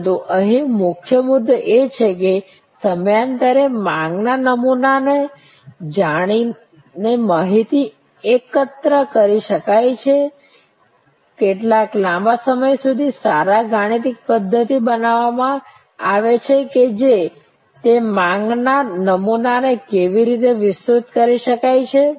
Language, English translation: Gujarati, But, the key point here is that could data collection knowing the demand pattern over time, what a long period of time creating good mathematical models that to what extend those demand patterns can be adjusted